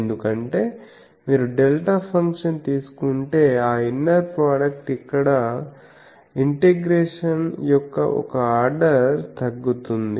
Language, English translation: Telugu, Why because if you take delta function that inner product there the one order of integration gets reduced